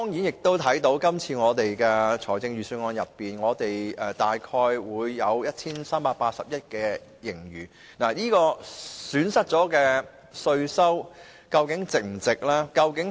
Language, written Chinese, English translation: Cantonese, 相對今年財政預算案提及香港大約 1,380 億元盈餘，這損失了的稅收是否值得？, Compared with a surplus of some 138 billion of Hong Kong as referred to in the Budget this year will the amount of tax forgone be worthwhile?